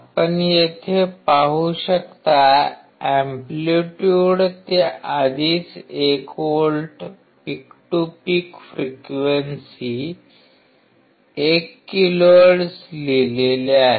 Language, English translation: Marathi, You can see here in the amplitude it is already written 1 volt peak to peak right frequency 1 kilohertz